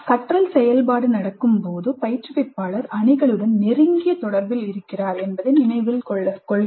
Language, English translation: Tamil, Note that while the learning activity is happening, the instructor is in close touch with the teams